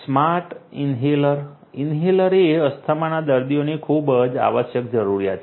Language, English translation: Gujarati, Smart Inhaler inhalers are a very essential requirement of asthma patients